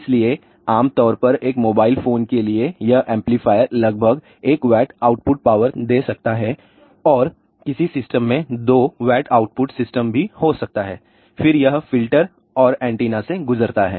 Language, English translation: Hindi, So, typically for a mobile phone this amplifier may give about roughly 1 watt of output power and in some system it may be even 2 watt output system then it goes through the filter and antenna